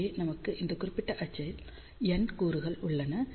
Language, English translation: Tamil, So, here we have n elements along this particular axis